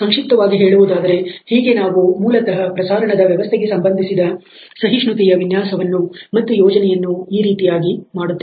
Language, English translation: Kannada, So, in a nutshell that is how we basically doing the designing and planning of the tolerance related to the transmission system